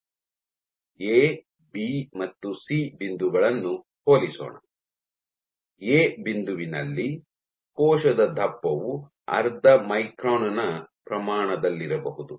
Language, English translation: Kannada, Let us compare the points A, B and C; at point A, the thickness of the cell might be of the order of half micron